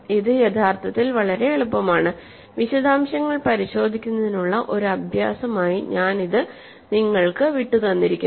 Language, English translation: Malayalam, This is actually very easy and I should leave this as an exercise for you to check the details